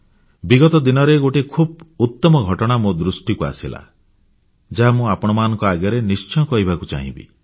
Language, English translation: Odia, Recently I came across a wonderful incident, which I would like to share with you